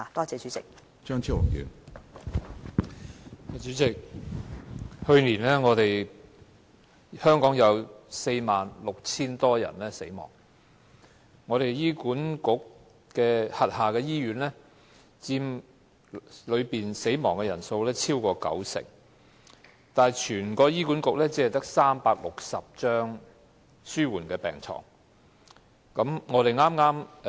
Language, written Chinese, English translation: Cantonese, 主席，香港去年有46000多人死亡，在醫管局轄下醫院中死亡的人數佔此數超過九成，但醫管局只有360張紓緩治療病床。, President over 46 000 people died in Hong Kong last year and those who died in hospitals under HA accounted for over 90 % of them . However only 360 palliative care beds are provided by HA